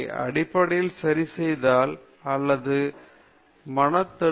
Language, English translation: Tamil, Basically, fixity or mental block